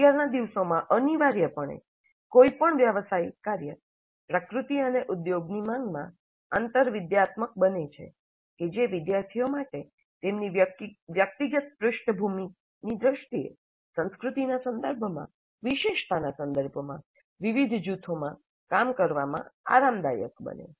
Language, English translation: Gujarati, Essentially any real professional work nowadays happens to be interdisciplinary in nature and industry demands that students become comfortable with working in groups which are diverse in terms of culture, in terms of specialization, in terms of their professional backgrounds